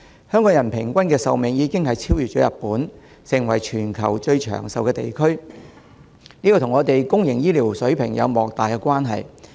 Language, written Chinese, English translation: Cantonese, 香港人平均壽命已經超越日本，成為全球最長壽的地區，這與香港公營醫療水平有莫大關係。, Hong Kong with an average life expectancy being longer than that of Japan has become a place with the highest life expectancy in the world and this is closely related to the public healthcare standard in Hong Kong